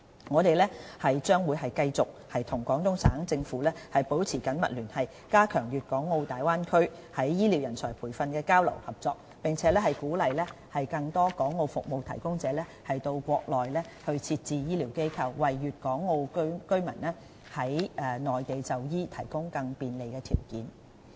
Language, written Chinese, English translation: Cantonese, 我們將繼續與廣東省政府保持緊密聯繫，加強粵港澳大灣區在醫療人才培訓的交流合作，並鼓勵更多港澳服務提供者到國內設置醫療機構，為粵港澳居民在內地就醫提供更多便利條件。, We will continue to maintain close liaison with the Guangdong Provincial Government strengthen the exchange and cooperation in health care manpower training in the Bay Area and encourage more service suppliers in Hong Kong and Macao to set up medical institutions in the Mainland with a view to providing residents of Guangdong Hong Kong and Macao with more favourable conditions for seeking medical consultation